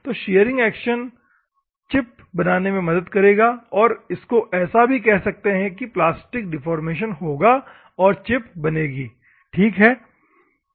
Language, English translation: Hindi, So, the shearing action will help to form a chip, and this is also called as plastic deformation will take place and the chip will form